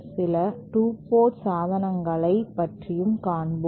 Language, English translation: Tamil, Let us go to some 2 port devices